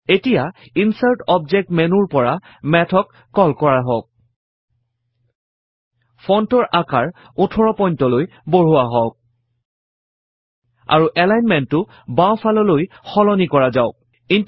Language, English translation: Assamese, Now, let us call Math from the Insert Object menu increase the font size to 18 point and change the alignment to the left